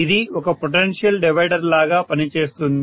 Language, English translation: Telugu, It is working now as a potential divider